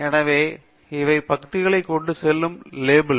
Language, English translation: Tamil, So, these are the labels that go with the columns